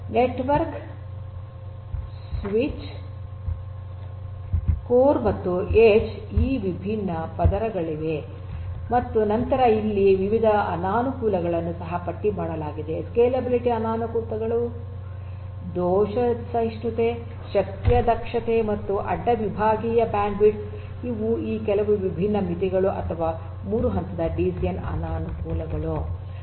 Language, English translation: Kannada, There are these different layers of network switches core aggregate and edge and then there are different disadvantages that are also listed over here, disadvantages of scalability, fault tolerance, energy efficiency, and cross sectional bandwidth, these are some of these different limitations or the disadvantages of the 3 tier DCN